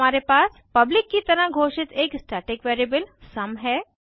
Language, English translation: Hindi, Then we have a static variable sum declared as public